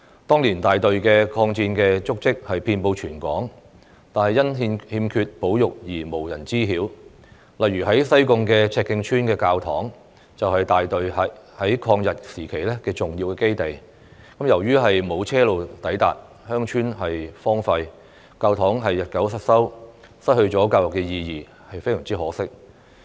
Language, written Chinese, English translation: Cantonese, 當年大隊的抗戰足跡遍布全港，但因欠缺保育而無人知曉，例如在西貢赤徑村的教堂，就是大隊在抗日時期的重要基地，由於沒有車路抵達，鄉村荒廢，教堂日久失修，失去了教育意義，非常可惜。, In those days the Battalions footprints of the war of resistance were all over Hong Kong but no one knows about them because of the lack of conservation . For example the church in Chek Keng village Sai Kung was an important base of the Battalion during the war of resistance against Japanese aggression but due to the lack of road access the village was deserted and the church fell into disrepair losing its educational significance much to our regret